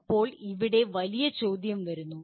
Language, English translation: Malayalam, Now here comes the bigger question